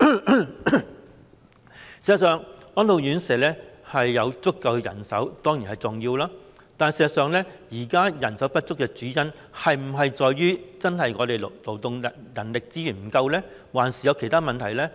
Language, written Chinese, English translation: Cantonese, 事實上，安老院舍有足夠人手當然是重要的事，但現時人手不足的主因，是否在於本地的勞動人力資源不足呢？還是有其他問題呢？, It is of course important for the elderly homes to have sufficient manpower . However is the shortage of manpower due mainly to local labour and manpower resources shortage or some other problems?